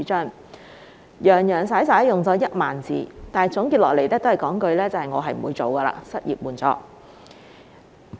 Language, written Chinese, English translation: Cantonese, 他洋洋灑灑用了1萬字，但結論仍是不會推出失業援助。, While he devoted some 10 000 Chinese characters to his lengthy posts his conclusion was still that unemployment assistance would not be introduced